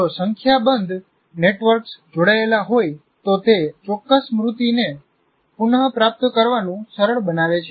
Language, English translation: Gujarati, The more number of networks it gets associated, it makes the retrieval of that particular memory more easy